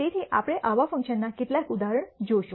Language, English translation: Gujarati, So, we will see some couple of examples of such functions